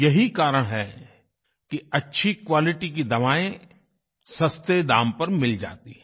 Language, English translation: Hindi, That is why good quality medicines are made available at affordable prices